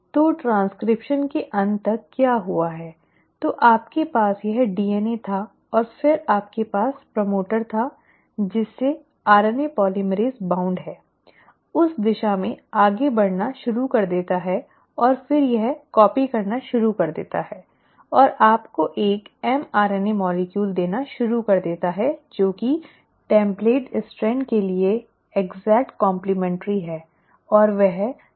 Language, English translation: Hindi, So what has happened by the end of transcription, so you had this DNA, and then you had the promoter, to which the RNA polymerase is bound started moving in that direction and then it starts copying and starts giving you an mRNA molecule which is the exact complimentary to the template strand